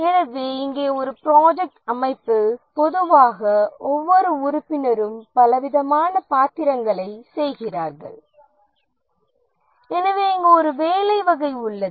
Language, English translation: Tamil, So here in a project organization, typically each member does a variety of roles and therefore there is a job variety here